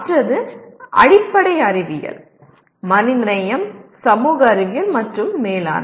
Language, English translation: Tamil, The other ones are basic sciences, humanities, social sciences, and management